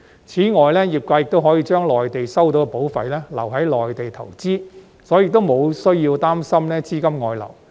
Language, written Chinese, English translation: Cantonese, 此外，業界可以將在內地收到的保費留在內地投資，所以沒有需要擔心資金外流。, Moreover the industry can invest in the Mainland with the premiums received there thus there will be no worry about capital outflow